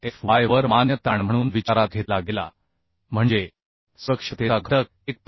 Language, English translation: Marathi, 6fy the permissible stress that means factor of safety was 1